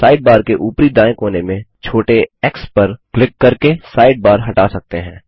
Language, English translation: Hindi, You can make the Sidebar disappear by clicking the small x on the top right hand corner of the side bar